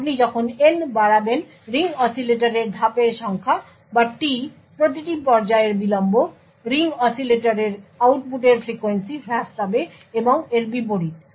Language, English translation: Bengali, As you increase n, the number of stages in the ring oscillator or t the delay of each stage, the frequency of the output of the ring oscillator would reduce and vice versa